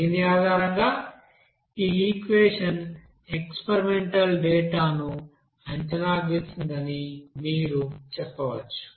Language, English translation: Telugu, So there they have developed this equation based on the experimental data